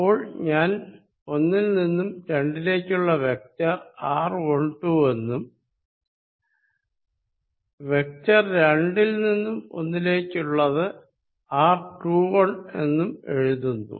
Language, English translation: Malayalam, So, let me write vector from 1 2 as r 1 2, vector from 2 to 1 as r 2 1, I follow this convention all throughout